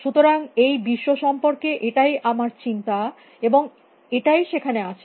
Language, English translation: Bengali, So, that is how I think about the world and it is out there